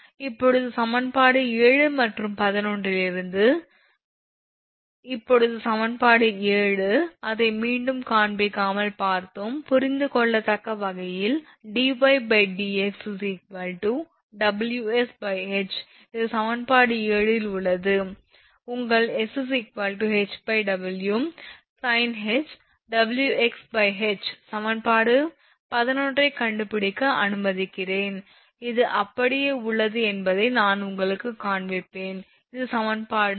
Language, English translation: Tamil, Now, from equation 7 and 11 we get, now equation 7 we have seen not showing it again understandable we have seen that dy by dx is equal to Ws by H this is at equation 7 right, and your s is equal to the W is sin hyperbolic W is equal to sin hyperbolic Wx by H just let me find out equation 11, I will show you that this is just hold on this is equation 11 right